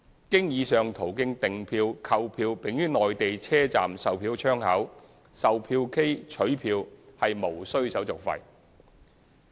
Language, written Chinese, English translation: Cantonese, 經以上途徑訂票/購票並於內地車站售票窗口、售票機取票無須手續費。, Orderingpurchasing tickets through the aforesaid means and the subsequent pick - up at ticketing counters or ticket vending machines in Mainland stations are not subject to service fees